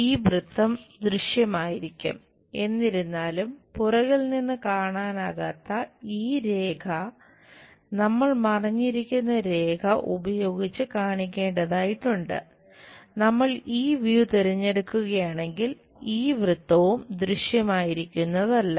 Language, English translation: Malayalam, This circle will be visible; however, this line which is not visible from backside, we have to show it by hidden line